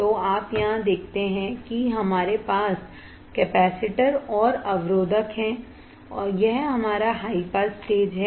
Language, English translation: Hindi, So, you see here we have capacitor and resistor this is our high pass stage